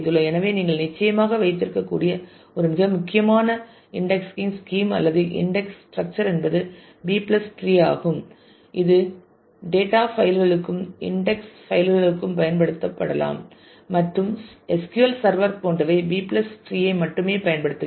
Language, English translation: Tamil, So, one take back that you can certainly have is the most important indexing scheme or indexing structure is the B + tree which can be used for data files as well as for index files and several like SQL server uses the B+ tree only